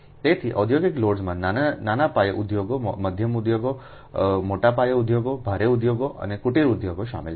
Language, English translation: Gujarati, so industrial loads consists of small scale industries, medium scale industries, large scale industries, heavy industries and cottage industries